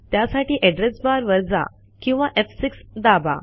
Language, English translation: Marathi, For that go to address bar or press F6